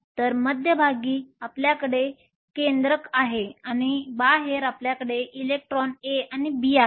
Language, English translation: Marathi, So, at the center you have the nucleus and outside you have the electron A and B